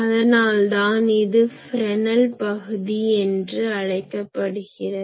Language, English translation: Tamil, So, that is called Fresnel zone that is why it is important